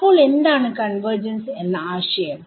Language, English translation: Malayalam, So, what is convergence